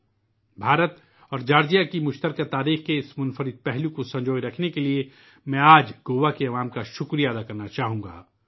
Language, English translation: Urdu, Today, I would like to thank the people of Goa for preserving this unique side of the shared history of India and Georgia